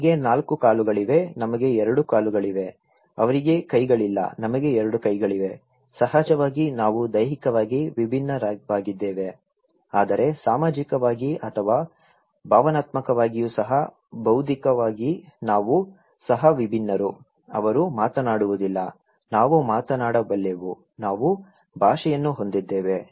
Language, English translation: Kannada, They have 4 legs, we have 2 legs, they donít have hands, we have 2 hands, of course, we are physically different but also socially or emotionally, intellectually we are also different, they cannot speak, we can speak, we have language